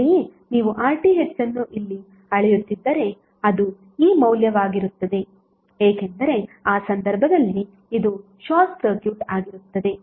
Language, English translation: Kannada, Similarly if you measure RTh here it will be this value because in that case this would be short circuited